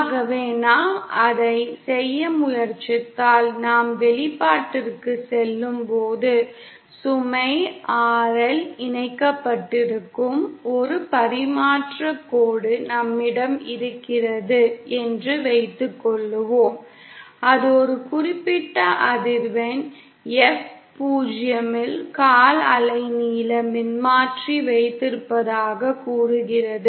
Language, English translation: Tamil, So if we try to do that, when we go back to our expression, let’s suppose we have a transmission line with load RL connected and it has, say we have a quarter wave length transformer at a certain frequency F 0, say